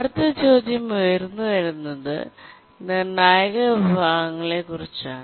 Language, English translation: Malayalam, Now the next question that we would like to ask is that what are critical sections